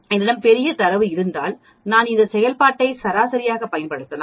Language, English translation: Tamil, Suppose if I have a large set of data, I use this function to calculate average